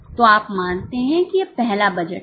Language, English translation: Hindi, So you assume that this is the first budget